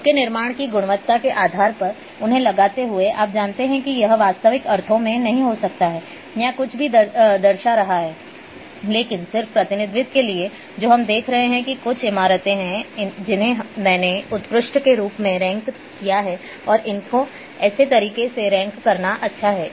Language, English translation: Hindi, Based on their construction quality just putting them, you know may not be in real sense this it is reflecting anything, but just for representation and what we are seeing that there are certain buildings, which are I have ranked them as excellent some are having fair good and